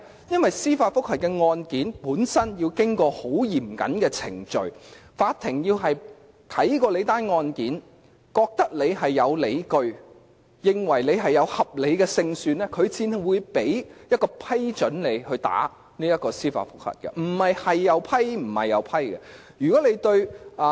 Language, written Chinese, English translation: Cantonese, 因為司法覆核案件本身要經過很嚴謹的程序，法庭先要檢視案件，認為有理據和合理勝算，才會批准提出司法覆核，不是甚麼申請也批准的。, It is because judicial review cases have to go through most stringent procedures . The Court will first examine the case and only when the case is considered to have reasonable grounds and prospect of success that the Court will grant leave for application for judicial review . It is not the case that any application will be approved